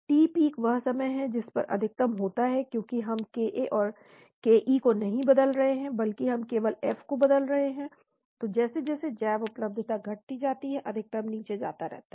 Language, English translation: Hindi, The t peak that is a time at which the maximum happens is same, because we are not changing ke and ka but we are changing only F, so as the bioavailability decreases the maximum keeps going down